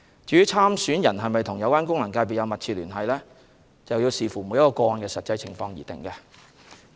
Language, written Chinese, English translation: Cantonese, 至於參選人是否與有關功能界別有密切聯繫，須視乎每宗個案的實際情況而定。, As for whether a person running in the election has a substantial connection with the FC concerned it would depend on the actual circumstances of each case